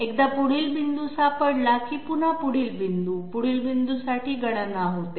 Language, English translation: Marathi, Once the next point is found, again the next next point, calculation for the next next point takes place